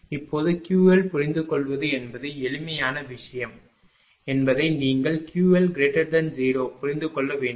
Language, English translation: Tamil, Now, when this you have to understand when Q L understand means simple thing you have to keep it when Q L greater than 0